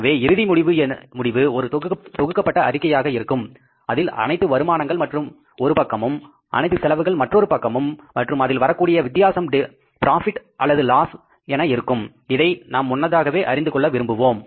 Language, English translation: Tamil, So, end result will be in terms of a consolidated statement which will include all the incomes on the one side, all the expenses on the other side and the balance will be either the profit or the loss which we want to know in advance